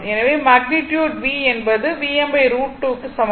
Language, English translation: Tamil, That means, my v is equal to, right